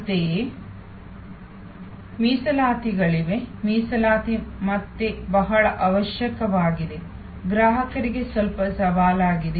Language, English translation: Kannada, Similarly, there are reservations, reservation are again very necessary, somewhat challenging for the customers